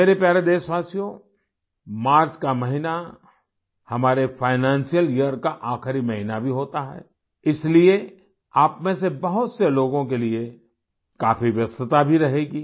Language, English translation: Hindi, My dear countrymen, the month of March is also the last month of our financial year, therefore, it will be a very busy period for many of you